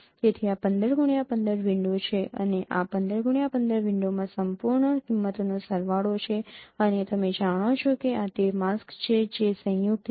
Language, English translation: Gujarati, So this is a 15 cross 15 window and this is a sum of absolute values in a 15 cross 15 window and now these are the masks which are made